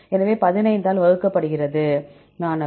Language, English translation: Tamil, So, 15 divided by;